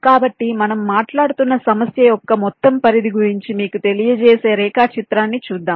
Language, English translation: Telugu, ok, so let's look at a diagram which will, ah, just apprise you about the overall scope of the problem that we are talking about